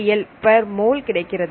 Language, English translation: Tamil, 631 kcal per mol